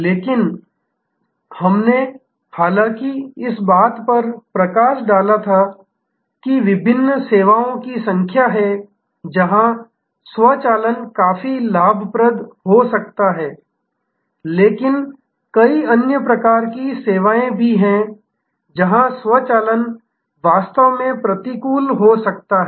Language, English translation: Hindi, But, we had highlighted however, that there are number of different services, where automation can be quite beneficial, but there are number of other types of services, where automation may actually be counterproductive